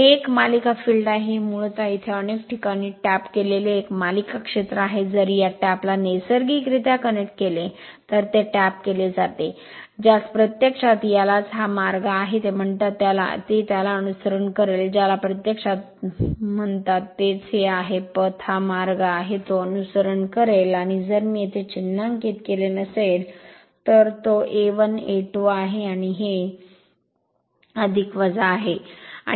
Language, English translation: Marathi, This is a series field, this is basically a series field many places tapped here, it is tapped if you connect this tap naturally, your what you call this is this is the path, it will follow that your, what you call this your your what you call this is the path, this is the path, it will follow right and if you I have not marked here, it is A 1 A 2 right and this is plus minus right